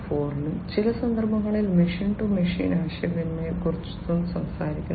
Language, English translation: Malayalam, 0, we are also talking about in certain cases machine to machine communication